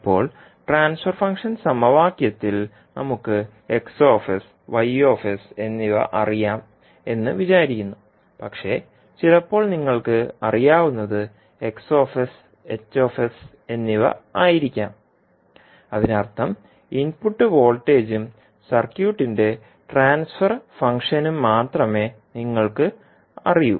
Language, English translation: Malayalam, Now, in the transfer function equation we assume that X s and Y s are known to us, but sometimes it can happen that you know only X s, H s at just that means you know only the input voltage and the transfer function of the circuit